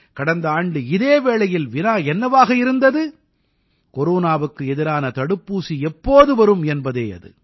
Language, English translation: Tamil, Last year, around this time, the question that was looming was…by when would the corona vaccine come